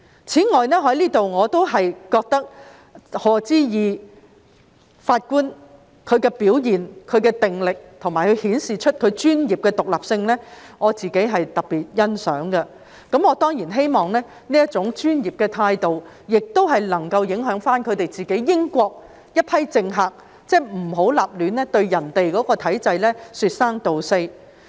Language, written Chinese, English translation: Cantonese, 此外，對於賀知義法官的表現、定力，以及他顯示的專業獨立性，我特別欣賞，我當然希望這種專業態度能影響英國這批政客，不要隨意對其他體制說三道四。, I am particularly impressed by the performance and the perseverance of Lord HODGE and the professional independence he has shown . Certainly I hope that his professional attitude will influence those politicians in UK so that they will not criticize other systems arbitrarily